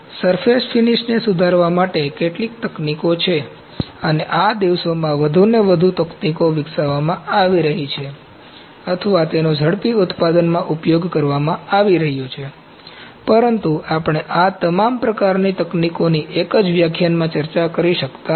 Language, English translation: Gujarati, So, there certain techniques to improve the surface finish and more and more techniques are being developed or are being used in rapid manufacturing these days, but we cannot discus all these kinds of techniques in a single lecture